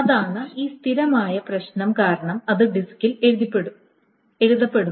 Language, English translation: Malayalam, So that's because of this persistent tissue, it is being written on the disk